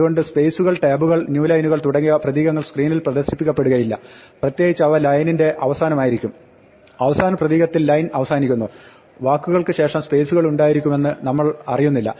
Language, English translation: Malayalam, So spaces, tabs, new lines, these are characters which do not display on the screen, especially spaces and tabs and there at a end of line, we do not know the line ends with the last character we see there are spaces after words